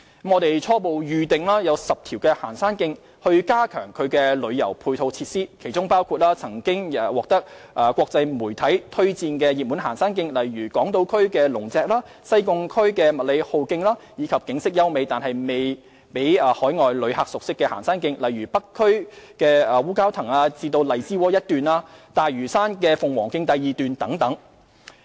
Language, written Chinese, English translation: Cantonese, 我們初步選定10條行山徑，將加強其旅遊配套設施，其中包括曾獲國際媒體推薦的熱門行山徑，例如港島區的龍脊、西貢區的麥理浩徑，以及景色優美但未為海外旅客熟悉的行山徑，例如北區的烏蛟騰至荔枝窩一段、大嶼山的鳳凰徑第二段等。, We have tentatively selected 10 hiking trails for enhancement of their tourism support facilities . These hiking trails include popular trails recommended by international media such as the Dragons Back Trail on Hong Kong Island the MacLehose Trail in Sai Kung as well as scenic trails which are not familiar to overseas tourists such as the section stretching from Wu Kau Tang to Lai Chi Wo in the North District section 2 of the Phoenix Trail on Lantau and so on